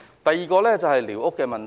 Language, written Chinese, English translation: Cantonese, 第二，是寮屋問題。, My second request concerns the issue of squatters